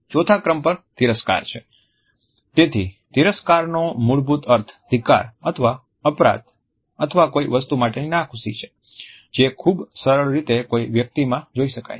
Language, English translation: Gujarati, Number 4 is contempt; so, contempt which basically means hatred or guilt or unhappiness with something, is also a pretty easy read